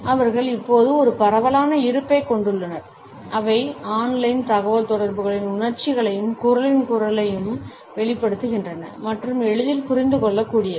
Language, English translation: Tamil, They now have a pervasive presence, they convey emotions and tone of voice in online communication and are easily understandable